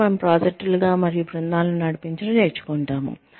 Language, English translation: Telugu, Then, we learn, to lead projects and teams